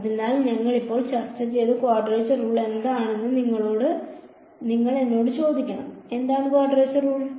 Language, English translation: Malayalam, So, to answer that you should ask me what is a quadrature rule we just discussed, what is the quadrature rule